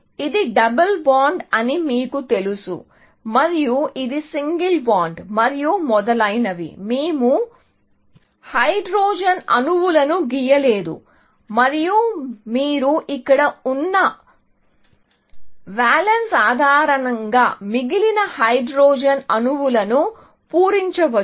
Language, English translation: Telugu, You know that this is double bond and this is single bond, and so on; we have not drawn the hydrogen atoms and you can fill in the hydrogen atoms, based on the valance here, remaining